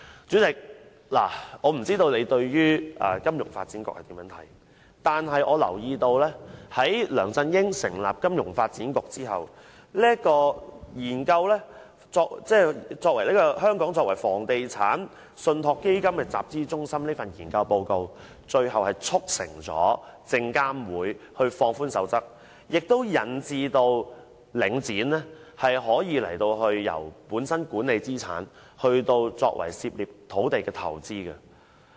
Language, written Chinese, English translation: Cantonese, 主席，我不知道你對於金發局的想法為何，但我注意到一點：在梁振英成立金發局後，該局發表有關發展香港作為房地產信託基金集資中心的研究報告，最終竟促成證券及期貨事務監察委員會放寬守則，致使領展作為資產管理公司，卻可以參與土地投資。, Chairman I do not know what do you think about FSDC? . I note that FSDC was set up by C Y LEUNG and that it was FSDCs release of the research report on developing Hong Kong as a capital formation centre for REITs which eventually led to the Securities and Futures Commissions SFC relaxation of its code on REITs . The relaxed code thus allows Link Real Estate Investment Trust Link REIT an asset management company to participate in property development